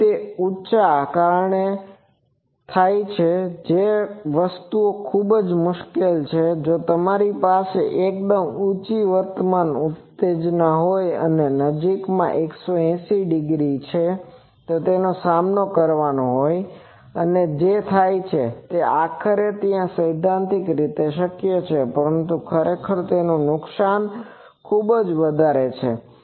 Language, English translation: Gujarati, So, what happens due to that high, one thing is it is very difficult that if you have a very high current excitation and nearby to have a 180 degree face opposite and what happens, ultimately, there though theoretically it is possible but actually the loss is so high